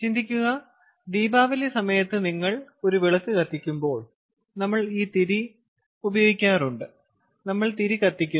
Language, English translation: Malayalam, lets say, during diwali, we light a lamp and then we have this wick and we heat one end